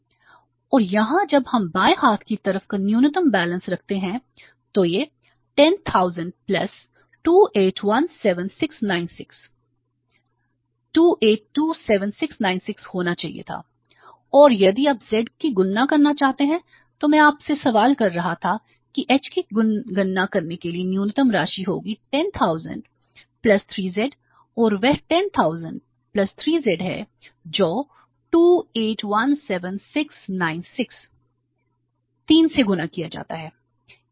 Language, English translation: Hindi, So it became 28 lakh 27,696 and if you want to calculate Z I was cautioning you that Z or sorry H for calculating H you have to take again the minimum balance out 10,000 plus 3 Z and that the 10,000 plus 3 Z is that is 28,000 17,000 17,000 696 multiplied by 3